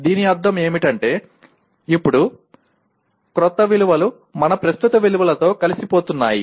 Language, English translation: Telugu, What it means is now the new values are getting integrated with our existing values